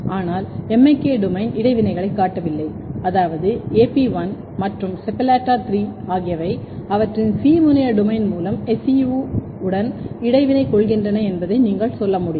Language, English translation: Tamil, But, MIK domain is not showing interaction, which means that you can tell that AP1 and SEPALLATA 3 they are interacting with SEU through their C terminal domain ok